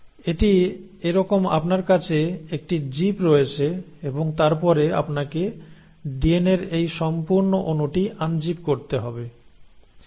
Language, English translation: Bengali, So it is like you have a zip and then you have to unzip this entire molecule of DNA